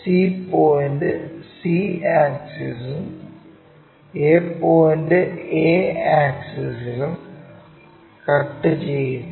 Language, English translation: Malayalam, So, c point cuts c axis and a point cuts that axis there